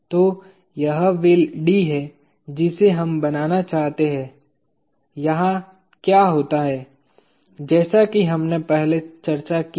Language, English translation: Hindi, So, this is the wheel D that we seek to draw what happens here as we have discussed earlier